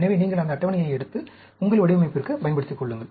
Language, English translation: Tamil, So, you just pick up those tables and make use of, for your design